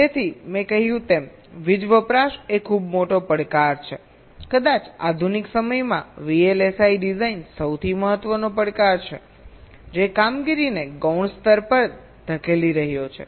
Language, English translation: Gujarati, so, as i said, power consumption is ah very big challenge, perhaps the most important challenge in modern day vlsi design, which is pushing performance to a secondary level